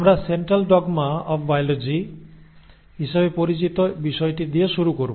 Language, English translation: Bengali, So we will start with what is called as the Central dogma of biology